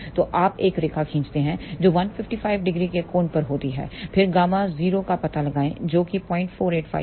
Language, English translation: Hindi, So, you draw a line which is at an angle of 155 degree then locate gamma 0 which is 0